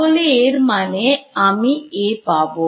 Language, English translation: Bengali, So; that means, I get A